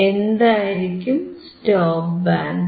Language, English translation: Malayalam, What will be a stop band